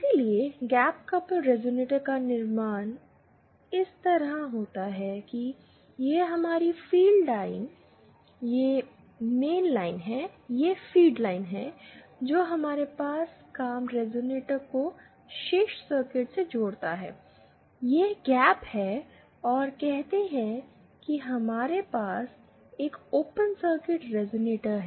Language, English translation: Hindi, So, gap coupled resonator has a construction like this, this is our feed line, that is the mainline which connects our work resonator to the rest of the circuit, there is a gap and say we have an open circuit resonator